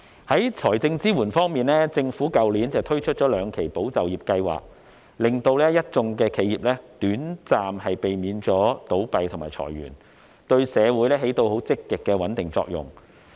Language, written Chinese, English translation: Cantonese, 在財政支援方面，政府去年推出了兩期"保就業"計劃，令一眾企業短暫避免倒閉和裁員，對社會起到積極的穩定作用。, In respect of financial assistance the Government introduced two tranches of the Employment Support Scheme last year to prevent businesses from closing down and laying off their staff for a short period of time thus playing a positive role in stabilizing society